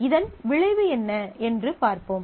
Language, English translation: Tamil, So, let us see what is the consequence of this